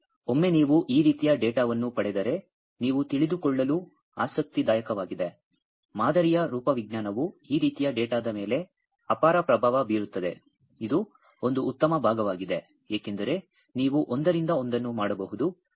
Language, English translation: Kannada, But once you get this kind of data it will be interesting for you to know, that the type of sample that the morphology of the sample as immense influence on this kind of data, which is one good part because you can do a one to one structure and property correlations